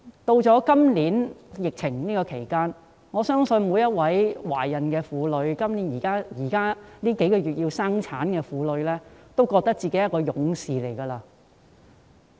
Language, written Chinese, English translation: Cantonese, 面對今年的疫情，我相信所有懷孕婦女及即將在這數月生產的婦女均認為自己是勇士。, In the face of the epidemic this year I believe all pregnant women and women who are going to give birth in these few months would consider themselves as warriors